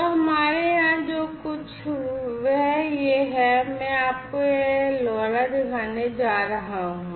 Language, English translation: Hindi, So, what we have over here this is this, I am going to show you this is this LoRa